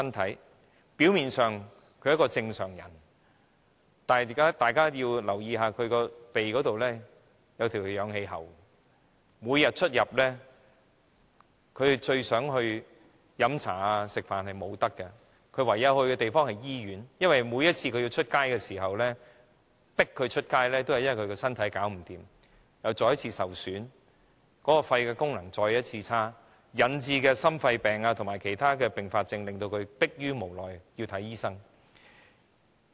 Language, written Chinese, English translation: Cantonese, 他們表面上是正常人，但大家要留意，他們的鼻上均貼着氧氣喉，他們每天最希望出入的地方，包括到酒樓和餐廳用膳，他們也不能去，而他們只能夠去醫院，而這亦是因他們身體敗壞，又再一次受損，其肺功能再一次下降，引致心肺病和其他併發症，令他們逼於無奈要外出就醫。, They look very normal but we can notice that they have oxygen tubing taped to the nose . For the places they want to visit most during the day including Chinese and Western restaurants they cannot go . They can only go to the hospital against their will to receive medical treatment for cardiopulmonary diseases and other complications when their frail bodies are further damaged and their lung functions further weakened